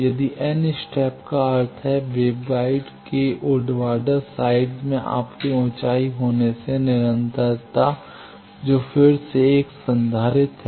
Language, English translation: Hindi, If n step that means, the in the vertical side of the wave guide your having an step this continuity that is again a capacitance